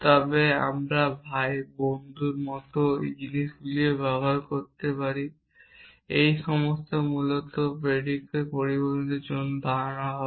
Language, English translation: Bengali, But we can also use things like brother friend all of these would stand for predicate symbols essentially